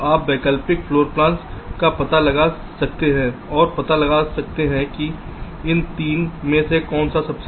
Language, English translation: Hindi, so you can explore the alternate floor plans and find out which one of these three is the best